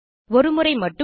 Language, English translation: Tamil, There is a one time bonus of Rs